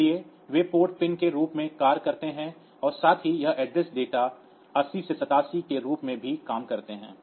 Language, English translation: Hindi, So, they act as the port pin as well as the multiplexed address data bus 80 through 87